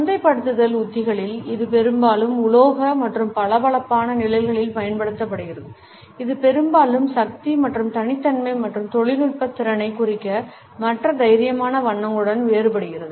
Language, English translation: Tamil, In marketing strategies, it has often been used in metallic and glossy shades often contrasted with other bold colors for suggesting power and exclusivity as well as technical competence